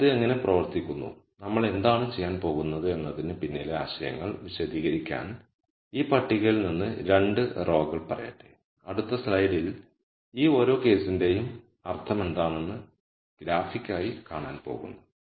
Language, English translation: Malayalam, So, let me pick let us say a couple of rows from this table to explain the ideas behind how this works and what we are going to do is in the next slide we are actually going to see graphically what each of this case means